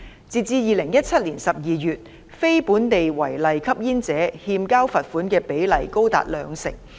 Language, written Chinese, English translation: Cantonese, 截至2017年12月，非本地違例吸煙者欠交罰款的比率高達兩成。, As at December 2017 the rate of non - local smoking offenders defaulting on payment of fines was as high as 20 %